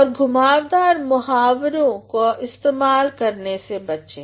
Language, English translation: Hindi, Also try to avoid the use of roundabout expressions